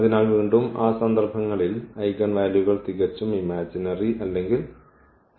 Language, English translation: Malayalam, So, for those cases the eigenvalues are purely imaginary or 0 again